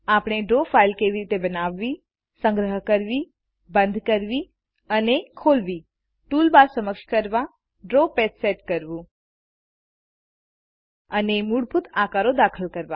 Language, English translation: Gujarati, We will also learn how to: Create, save, close and open a Draw file, Enable toolbars, Set up the Draw page, And insert basic shapes